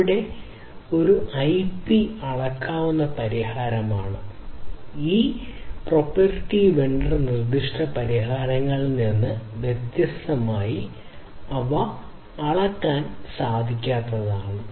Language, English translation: Malayalam, That means, there it is a, it is a IP is a scalable solution; unlike this proprietary vendor specific solutions which are, non scalable, not non scalable, but limitedly scalable